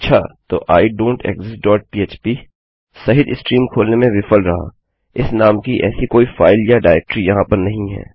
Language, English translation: Hindi, So include idontexist dot php failed to open stream no such file or directory in that name here